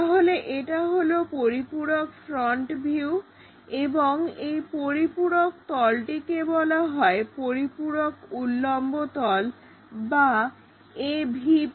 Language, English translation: Bengali, So, that auxiliary front view and the auxiliary plane is called auxiliary vertical plane and denoted as AVP